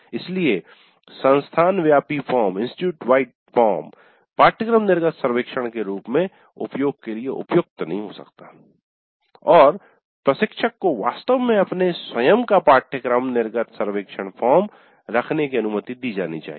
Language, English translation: Hindi, So the institute wide form may not be suitable for use as a course exit survey and the instructor should be really allowed to have his own or her own course exit survey form